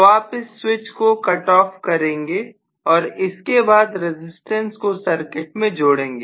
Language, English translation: Hindi, So you cut off the switch and then include a resistance